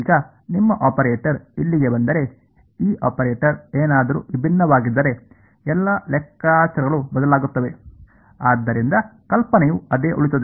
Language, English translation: Kannada, Now, in case that your operator over here, this in if this operator was something different, then all the calculations will change; but the idea will remain the same right